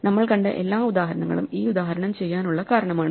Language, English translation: Malayalam, All the examples we saw before that is the reason to do this example